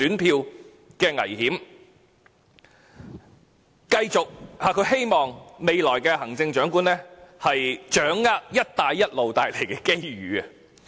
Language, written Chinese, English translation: Cantonese, 再者，她希望未來的行政長官"掌握'一帶一路'帶來的機遇"。, Furthermore she expects to see the future Chief Executive seizing the opportunities brought about by One Belt One Road